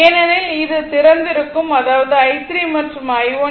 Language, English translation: Tamil, Because, this is open right; that means, i 3 and i 1